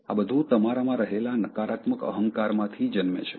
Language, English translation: Gujarati, So that comes actually out of one negative egoistic tendency in you